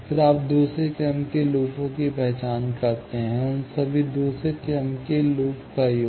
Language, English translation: Hindi, Then, you identify second order loops, sum of all those second order loops